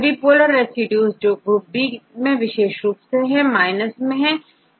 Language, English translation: Hindi, All the polar residues which are highly preferred in the case of this group B, in case, minus